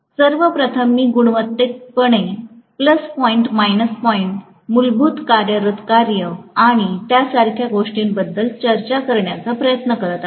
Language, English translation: Marathi, I am trying to first of all discuss qualitatively the plus point, minus point, the basic working operation and things like that